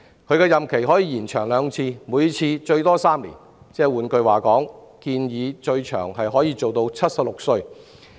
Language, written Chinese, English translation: Cantonese, 其任期可延長兩次，每次最多3年，換言之，最長可延任至76歲。, Their term of office may be extended for not more than two periods of three years to allow them work till the age of 76